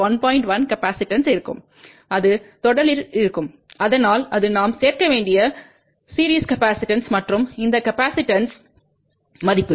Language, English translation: Tamil, 1 will be capacitors and it will be in series so that is a series capacitance which we have to add and this is the capacitance value